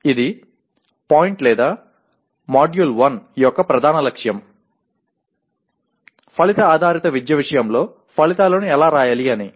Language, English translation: Telugu, This is the point or this is the main goal of the Module 1, how to write outcomes in the context of Outcome Based Education